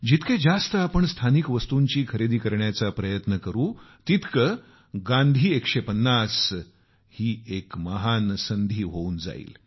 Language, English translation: Marathi, The more we try to buy our local things; the 'Gandhi 150' will become a great event in itself